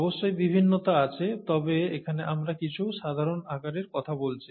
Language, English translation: Bengali, There are variations of course, but we are talking of some typical sizes here